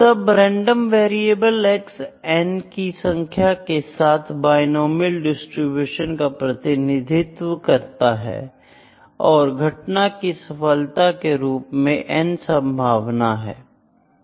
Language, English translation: Hindi, Then the variable X or the random variable X is representing a binomial distribution with n number of occurrence is n probability of success as p